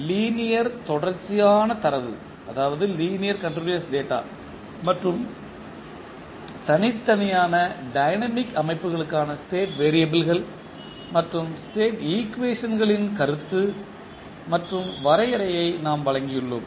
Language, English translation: Tamil, We have presented the concept and the definition of state variables and state equations for linear continuous data and discrete dynamic systems